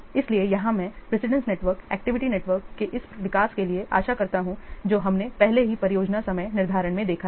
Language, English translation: Hindi, So here I hope this development of precedence network activity network we have already seen in the project scheduling